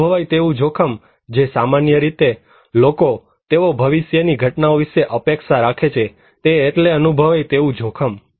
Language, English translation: Gujarati, Perceived risk; the way laypeople, the common people, they perceive about the anticipate about the future event that is perceived risk